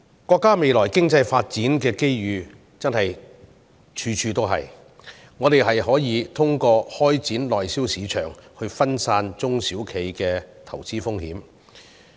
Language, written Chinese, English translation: Cantonese, 國家未來的經濟發展機遇處處，我們可以通過開展內銷市場，分散中小企的投資風險。, Opportunities spring up everywhere in China as its economy advances . SMEs may diversify their investment risks by tapping the domestic market in the Mainland